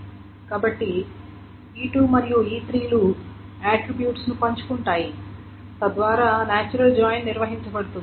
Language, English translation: Telugu, So the assumption is that E2 and E3 do share attributes so that the natural joint can be handled